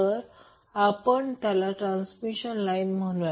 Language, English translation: Marathi, So, we call them as a transmission line